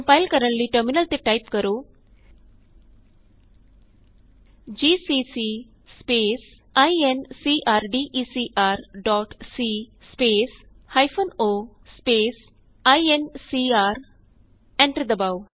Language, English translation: Punjabi, To compile, type gcc space typecast dot c space minus o space type.Press Enter